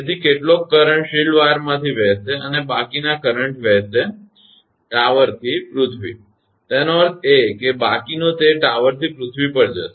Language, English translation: Gujarati, So, some of the current will be flowing through the shield wire and the remaining current flows; tower to the earth; that means, rest it will go from the tower to the earth